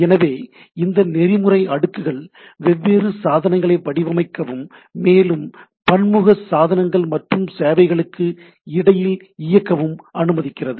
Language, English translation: Tamil, So, these protocol stacks allows us to design different devices and also allows to inter operate between heterogeneous devices and services